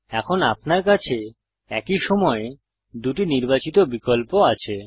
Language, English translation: Bengali, So now you have two objects selected at the same time